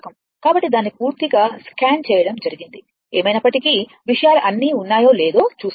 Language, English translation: Telugu, So, I have totally scanned it for you just just to see that things are ok or not right anyway